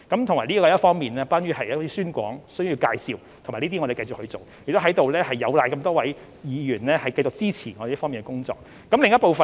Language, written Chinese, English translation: Cantonese, 這方面涉及宣廣和介紹的工作，我們會繼續做，同時亦有賴多位議員繼續支持我們這方面的工作。, This involves efforts in publicity and briefing which we will continue to make . At the same time we must also rely on the continuous support of Members in this regard